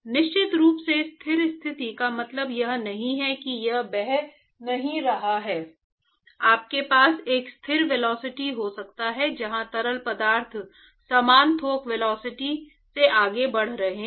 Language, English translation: Hindi, Oh, sure steady state does not mean that it is not flowing you can have a steady velocity right where the fluids are moving at a same bulk velocity